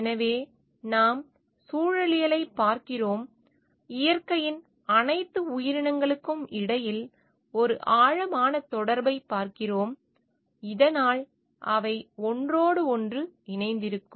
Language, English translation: Tamil, So, we are looking into ecology we are looking into a deep connection between all the entities of nature so that they can coexist with each other